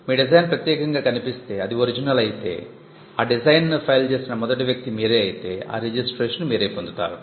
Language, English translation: Telugu, Design again the design looks unique it is original and you are the first person to file that design it gets a registration